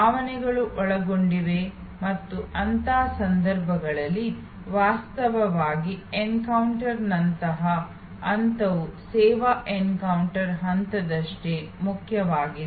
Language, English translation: Kannada, There are emotions involved and in such cases, actually the post encounter stage is as important as the service encounter stage